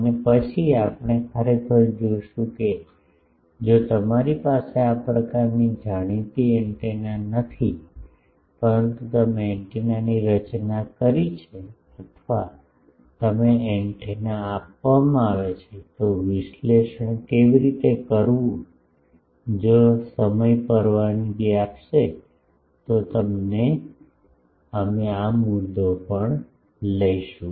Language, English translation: Gujarati, And then we will see actually that if you do not have a, this type of known antennas, but you have designed an antenna or you are given an antenna, how to analyze that if time permits we will also take up that issue